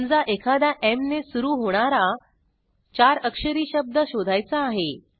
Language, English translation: Marathi, Say we want to search any words that are 4 letters long and starts with M